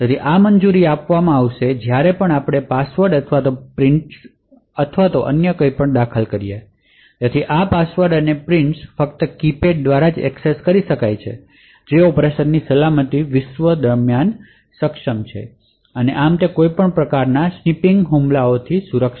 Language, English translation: Gujarati, So, this would permit that whenever we enter passwords or prints or anything else so these passwords and prints are only accessible through a keypad which is enabled during the secure world of operation and thus it is also secure from any kind of snipping attacks